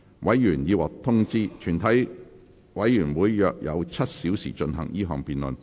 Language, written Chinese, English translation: Cantonese, 委員已獲通知，全體委員會約有7小時進行這項辯論。, Members have been informed that committee will have about seven hours to conduct this debate